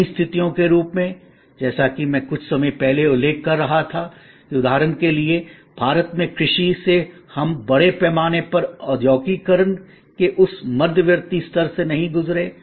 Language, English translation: Hindi, There are new situations as I was little while back mentioning, that for example in India from agriculture we did not go through that intermediate level of mass industrialization